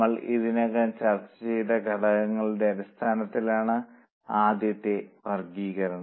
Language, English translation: Malayalam, Now the first classification is by elements which we have already discussed